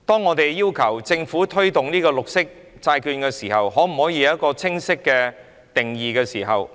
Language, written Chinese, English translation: Cantonese, 我們要求政府在推動綠色債券時，要有一個清晰的定義。, We request the Government to present a clear definition in the promotion of green bonds